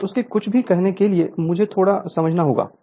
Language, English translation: Hindi, Now here before anything we do we have to understand little bit